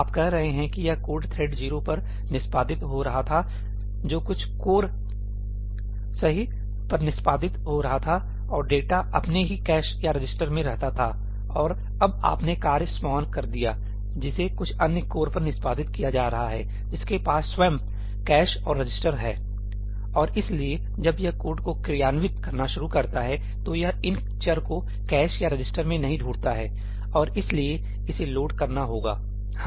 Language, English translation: Hindi, You are saying that this code was executing on thread 0, which was executing on some core and the data resided in its own cache or registers and now you spawned off the task, which is getting executed on some other core which has it is own cache and registers and therefore, when it starts executing the code it is not going to find these variables in the cache or the resisters and therefore, it is going to have to load it